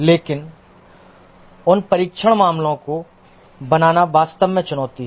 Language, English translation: Hindi, But creating those test cases are actually the challenge